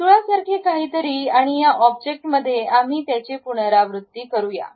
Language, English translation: Marathi, Something like circle and this object we want to repeat it